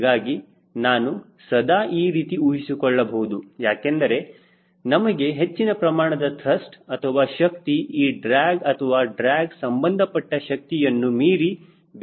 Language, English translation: Kannada, so i can always assume that will also make ourselves to look for more trust or more power to work on the drag or drag related power